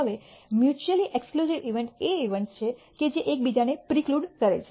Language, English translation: Gujarati, Now, mutually exclusive events are events that preclude each other